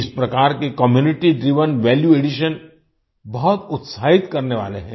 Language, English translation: Hindi, This type of Community Driven Value addition is very exciting